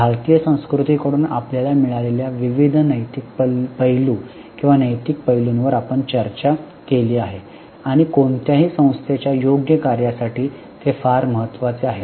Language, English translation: Marathi, We have also discussed various ethical aspects or moral aspects which we get from Bharatiyya Sonskruti and which are very important for proper functioning of any organization